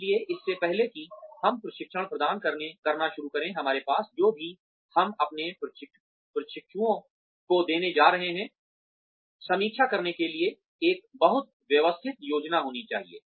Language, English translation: Hindi, So, even before we start imparting the training, we should have, a very systematic plan in place, for reviewing, whatever we are going to give our trainees